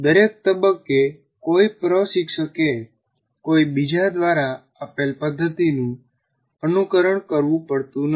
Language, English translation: Gujarati, And at every stage an instructor doesn't have to follow a method that is given to him by someone